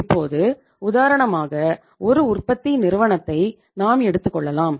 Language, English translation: Tamil, Now for example we are a manufacturing firm